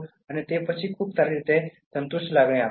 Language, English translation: Gujarati, And then it gives a very good and satisfied feeling